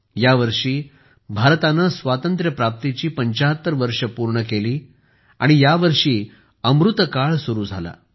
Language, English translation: Marathi, This year India completed 75 years of her independence and this very year Amritkal commenced